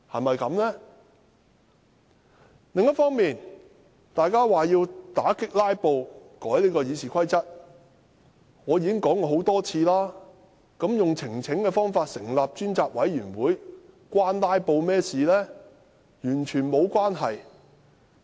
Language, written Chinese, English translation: Cantonese, 當建制派指要為打擊"拉布"而修訂《議事規則》，我已多次質疑，以提交呈請書的方式成立專責委員會與"拉布"有何關連。, When the pro - establishment camp claims that amending RoP is to counter filibustering I have time and again queried the relationship between filibustering and forming a select committee by way of presentation of petitions